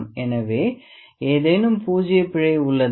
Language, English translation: Tamil, So, is there any zero error